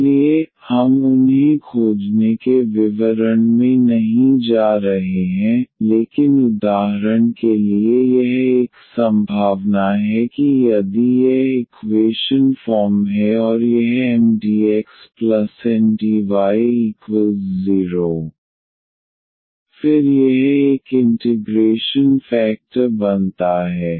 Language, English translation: Hindi, So, we are not going into the details of finding them, but for instance this is one of the possibilities that if this equation is homogeneous and this M x plus N y is not equal to 0, then this comes to be an integrating factor